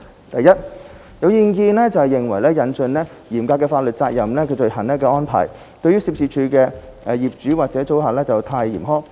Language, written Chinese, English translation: Cantonese, 第一，有意見認為引進"嚴格法律責任罪行"的安排對涉事處所的業主或租客太嚴苛。, Firstly some Members think that the introduction of the strict liability offence is too harsh to the owners or tenants of the premises concerned